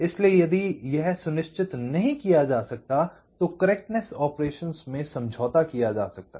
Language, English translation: Hindi, so if this cannot be ensured, then the correctness operations can be compromised